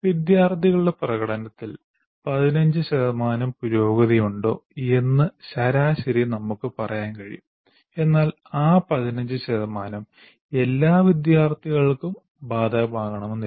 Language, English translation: Malayalam, On the average, we can say there is an improvement in improvement of 15% in the performance of the students